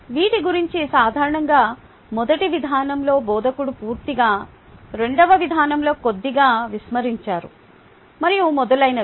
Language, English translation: Telugu, all that was completely ignored by the instructor in typically the first approach, a little bit in the second approach and so on